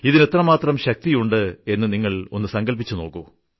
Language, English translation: Malayalam, You can imagine the kind of power this event may have